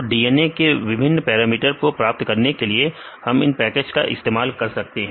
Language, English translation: Hindi, So, we can use this package to get the various parameters of this DNA